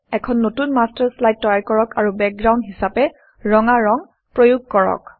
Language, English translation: Assamese, Create a new Master Slide and apply the color red as the background